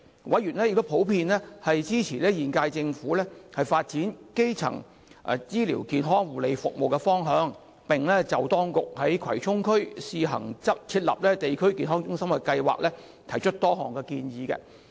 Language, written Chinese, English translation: Cantonese, 委員普遍支持現屆政府發展基層醫療健康護理服務的方向，並就當局在葵涌試行設立地區康健中心的計劃，提出多項建議。, Members generally supported the direction of developing primary health care services laid down by the present - term Government and put forth various recommendations on the authorities plan of setting up a District Health Centre in Kwai Chung on a trial basis